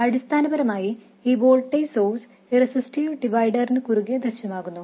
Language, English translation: Malayalam, I will notice that basically this voltage source appears across this resistive divider